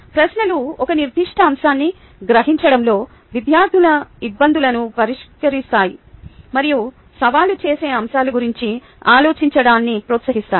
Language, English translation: Telugu, the questions address student difficulties in grasping a particular topic and promote thinking about challenging concepts